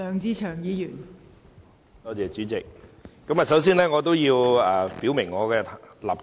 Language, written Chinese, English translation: Cantonese, 代理主席，我首先要表明我的立場。, Deputy Chairman first of all I would like to state my position